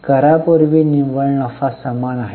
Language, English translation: Marathi, Net profit before tax is same